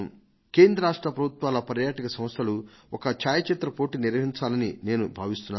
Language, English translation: Telugu, I would like the Tourism Department of the Government of India and the State Government to hold a photo competition on this occasion